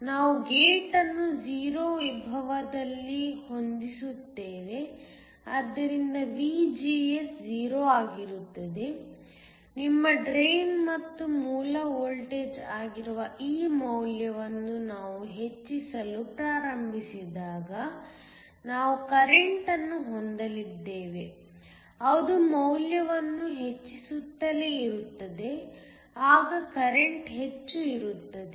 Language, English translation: Kannada, We will also set the gate at a 0 potential, so that VGS is 0, as we start to increase this value which is your drain and source voltage we are going to have a current it keep on increasing the value, there is going to be more current